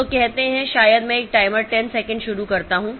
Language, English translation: Hindi, So, you say maybe I start a timer 10 second